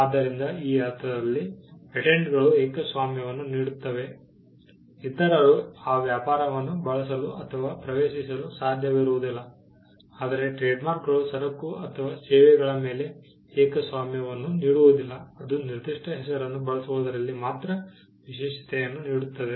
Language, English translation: Kannada, So, patents in that sense offer a monopoly in such a way that, others cannot use or enter the trade whereas, trademarks do not offer a monopoly on the goods or services rather it only gives an exclusivity in using a particular name